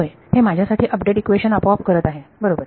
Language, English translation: Marathi, Yeah, the update equation is automatically doing it for me right